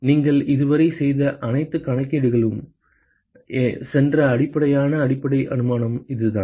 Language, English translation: Tamil, This is the fundamental underlying assumption that went into all the calculations you have done so far ok